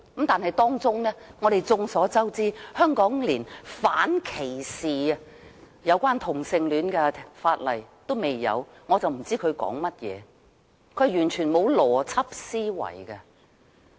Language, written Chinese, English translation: Cantonese, 然而，眾所周知，香港連有關反歧視同性戀的法例尚未有，我真的不知他們在說甚麼，是完全沒有邏輯思維的。, But as everybody knows Hong Kong has not even enacted any legislation to outlaw discrimination against homosexuals . I honestly have no idea about what they are talking about . They are ripped of any sensible reasoning whatsoever